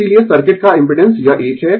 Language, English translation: Hindi, Therefore, impedance of the circuit is this one